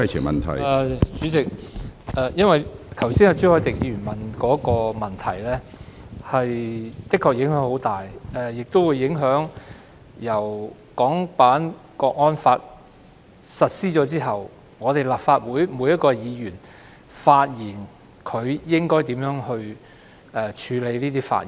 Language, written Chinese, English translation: Cantonese, 主席，朱凱廸議員剛才提出的問題確實影響很大，包括影響到自《港區國安法》實施後立法會議員應如何處理各自的發言。, President the issue raised by Mr CHU Hoi - dick just now does have great implications including how Members of the Legislative Council should handle their own speeches after the implementation of the National Security Law for HKSAR